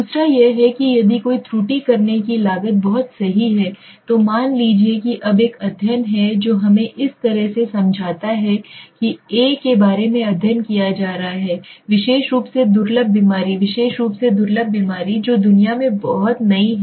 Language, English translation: Hindi, Second is if the cost of making an error is extremely high right, now suppose suppose let us say now there is a study let us understand in this way there is study being conducted about a particular rare disease right, particular rare disease which is very new in the world right